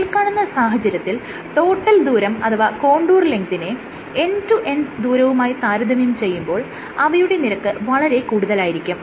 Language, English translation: Malayalam, And in this case the total distance or the contour length is significantly higher compared to the end to end distance